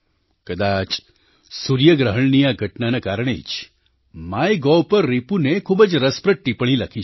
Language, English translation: Gujarati, Possibly, this solar eclipse prompted Ripun to write a very interesting comment on the MyGov portal